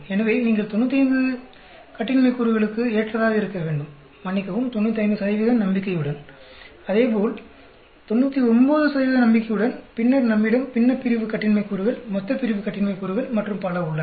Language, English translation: Tamil, So, you should be comfortable for 95 degrees of freedom, as well as, sorry for 95 percent confidence, as well as 99 percent confidence, and then, we have the numerator degrees of freedom, denominator degrees of freedom and so on